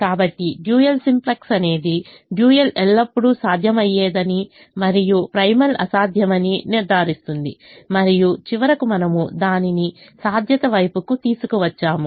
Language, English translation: Telugu, so dual simplex ensure that the dual was always feasible and the primal was infeasible and finally we brought it towards feasibility